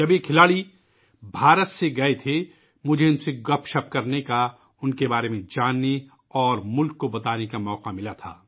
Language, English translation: Urdu, " When these sportspersons had departed from India, I had the opportunity of chatting with them, knowing about them and conveying it to the country